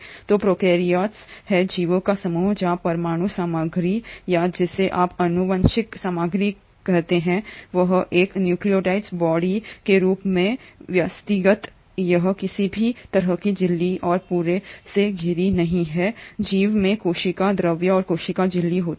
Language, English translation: Hindi, So prokaryotes are a group of organisms where the nuclear material or the what you call as the genetic material is organised as a nucleoid body, it is not surrounded by any kind of a membrane and the whole organism consists of cytoplasm and a cell membrane